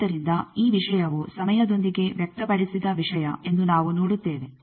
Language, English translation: Kannada, So, we see that this thing is a thing expressed with time